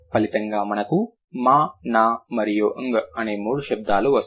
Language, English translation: Telugu, And as a result, we get three sounds, m, n and un